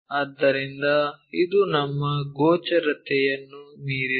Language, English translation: Kannada, So, it is beyond our visibility